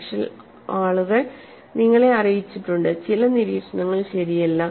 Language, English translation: Malayalam, But people have made you know, certain observations which are quite not right